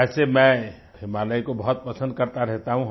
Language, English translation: Hindi, Well I have always had a certain fondness for the Himalayas